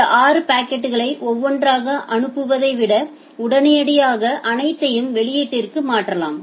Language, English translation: Tamil, You can immediately transfer these 6 packets in the output rather than sending it one by one